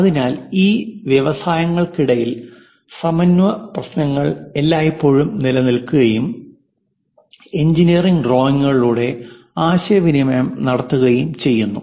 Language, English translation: Malayalam, So, synchronization issues always be there in between these industries and that will be communicated through engineering drawings